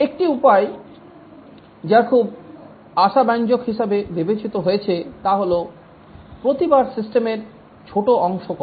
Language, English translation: Bengali, One way that has been considered very promising is that each time do only small part of the system